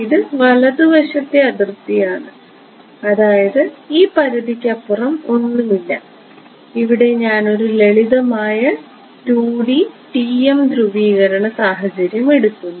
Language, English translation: Malayalam, So, this is a right boundary I means there is nothing beyond this boundary and I am taking a simple 2D TM polarization case ok